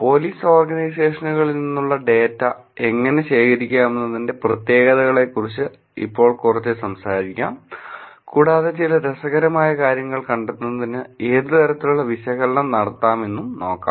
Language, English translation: Malayalam, So, let me now talk a little bit about the specifics of how the data from police organizations can be collected, and what kind of analysis can be done to find out some interesting things